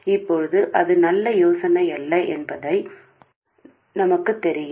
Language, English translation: Tamil, Now we know that that's not a good idea